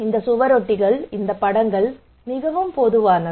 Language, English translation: Tamil, These posters, these pictures are very common right